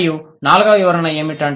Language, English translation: Telugu, And what are the fourth explanation